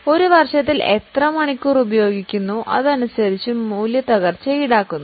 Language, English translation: Malayalam, So, in a year how many hours you use accordingly the depreciation is charged